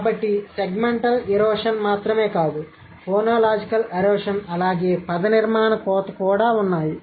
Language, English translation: Telugu, So, not only segment erosion but also phonological erosion as well as the morphological erosion